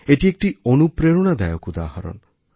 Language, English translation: Bengali, These are inspirational examples in themselves